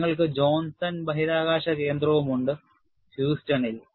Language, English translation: Malayalam, You have the Johnson Space Center in Houston